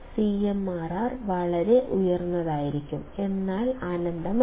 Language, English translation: Malayalam, My CMRR would be very high; but not infinite